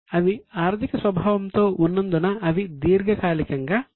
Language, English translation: Telugu, As they are financial in nature, they are likely to be long term